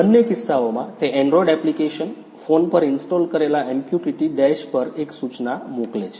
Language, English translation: Gujarati, In both cases, it sends a notification on the android app where MQTT Dash which is installed on the phone